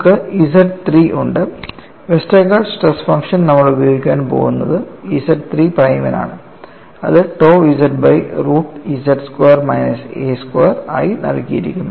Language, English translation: Malayalam, You have X 3, the Westergaard stress function what we are going to use is for Z 3 prime that is given as tau z divided by root of z squared minus a squared